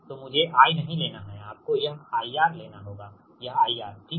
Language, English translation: Hindi, so don't take i, you have to take this i r